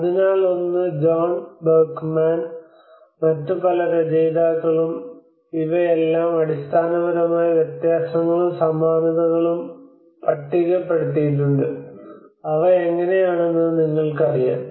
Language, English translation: Malayalam, So one is you have John Berkman, and many other authors have listed out these are the fundamental differences and similarities you know how they are they have these challenges bringing them together